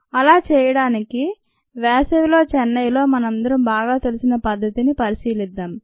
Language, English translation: Telugu, let us consider a situation that we are all ah in chennai, please, very familiar with in summers